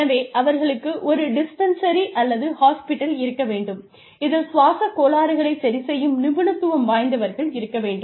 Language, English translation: Tamil, So, they need to have a dispensary, or a hospital, that specializes in, dealing with, respiratory disorders, for example